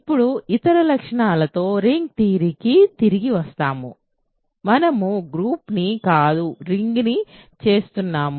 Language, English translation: Telugu, What other properties of now let us comeback to ring theory; we are doing rings not groups